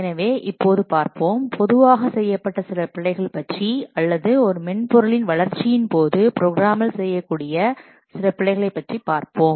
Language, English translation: Tamil, So now let's see, let us look at about some commonly made errors which are there or which the programmers might commit during the development of a software